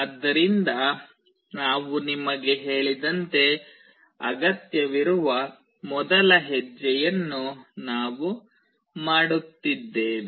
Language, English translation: Kannada, So, what we are doing the first step that is required is as I told you